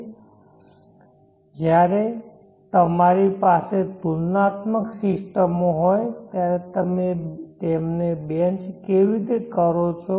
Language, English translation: Gujarati, So when you have comparable systems how do you bench mark them